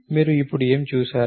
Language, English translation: Telugu, So, what did you see now